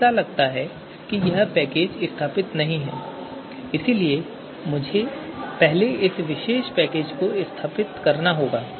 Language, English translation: Hindi, So it seems this package is not installed so let me first install this particular package